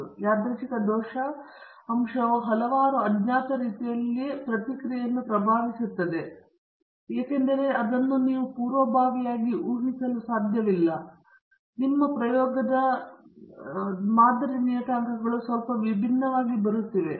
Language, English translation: Kannada, So, this is because the random error component is influencing a response in several unknown ways which you cannot predict a priori and so thatÕs the reason, why your model parameters are coming slightly differently each time you do the experiment